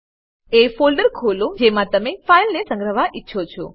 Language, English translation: Gujarati, Open the folder in which you want the file to be saved